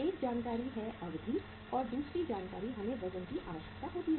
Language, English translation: Hindi, One is the information about the duration and second information we require is about the weights